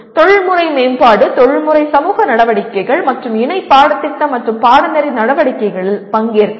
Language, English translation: Tamil, Participate in professional development, professional society activities and co curricular and extra curricular activities